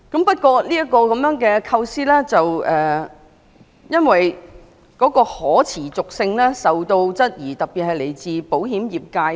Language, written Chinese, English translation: Cantonese, 不過，這個構思的可持續性受到部分人士質疑，尤其是來自保險業界。, Nevertheless some people particularly those from the insurance sector questioned the sustainability of the idea